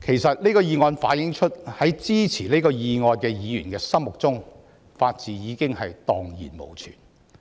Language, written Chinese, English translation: Cantonese, 這項議案反映出，在支持議案的議員心目中，法治已蕩然無存。, The motion shows that in the mind of Members supporting the motion the rule of law has completely vanished